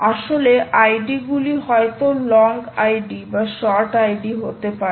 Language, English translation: Bengali, actually, id s can be either long, id or short